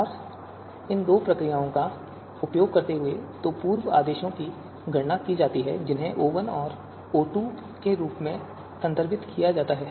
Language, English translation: Hindi, And using these two procedures, two pre orders are computed which are referred as O1 and O2